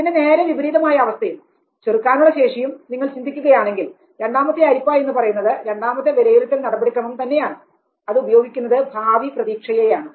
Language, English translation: Malayalam, If you think of the opposite of it and the coping potential and then the second filter get the secondary appraisal mechanism uses this that of the future expectation